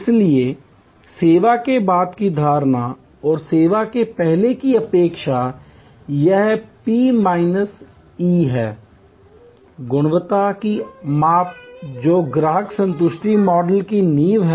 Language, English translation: Hindi, So, perception after service and expectation before service or in service this P minus E is the measure of quality is the foundation of customer satisfaction models